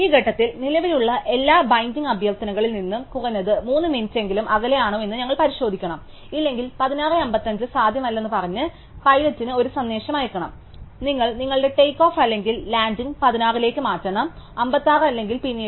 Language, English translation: Malayalam, At this point, we should check that whether it is at least 3 minutes apart from all the current pending request, if not we should send a message to the pilot saying 16:55 is not possible, you must move your takeoff or landing to 16:56 or later